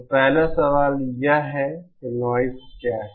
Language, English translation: Hindi, So, 1st question is, what is noise